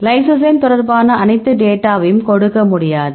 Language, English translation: Tamil, So, not only you can give all the data regard the lysozyme